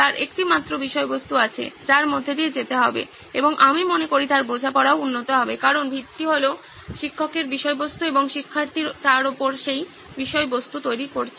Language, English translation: Bengali, He has just one content that he needs to go through and I think his understanding will also improve because the base is the teacher's content and students are building upon that content